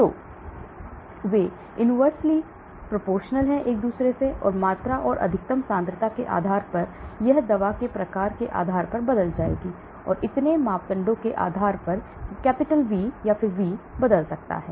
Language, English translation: Hindi, So they are inversely related; the volume and the maximum concentration it reaches depending upon the type of drug these will change and depending upon so many parameters the V can change